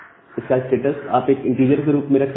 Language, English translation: Hindi, So, you can have the status as integer variable